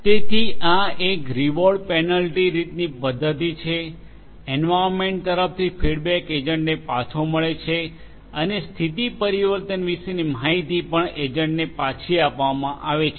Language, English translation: Gujarati, So, a reward penalty kind of mechanism, a feedback from the environment to the agent flows back and also the information about the change in the state is also fed back to the agent